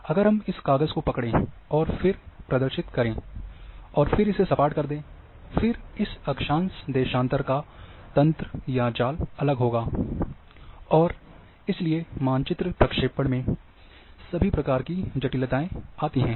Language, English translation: Hindi, If we start holding this paper, and then expose and then make it flat, then the network or grid of this latitude longitude is going to be different, and therefore, all kinds of complications then come into map projections